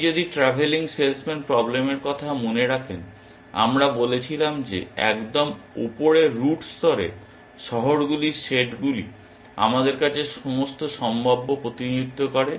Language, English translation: Bengali, If you remember the travelling salesman problem, we said that at the top most root level, the set of cities represent all possible to us